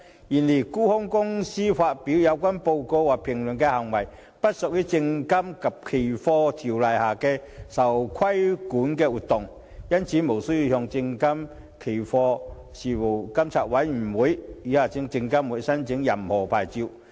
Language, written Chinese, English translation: Cantonese, 然而，沽空機構發表有關報告或評論的行為不屬《證券及期貨條例》下的受規管活動，因此無須向證券及期貨事務監察委員會申領任何牌照。, However the publication of such reports or commentaries by short selling institutions is not a regulated activity under the Securities and Futures Ordinance